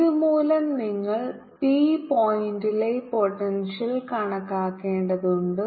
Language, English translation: Malayalam, due to that, you have to calculate the potential at point p